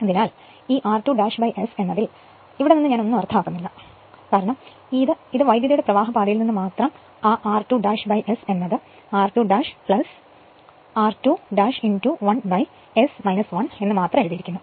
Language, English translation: Malayalam, So, I mean nothing this from this r 2 dash by S only from this circuit, that your r 2 dash by S only written as r 2 dash plus your r 2 dash into 1 upon S minus 1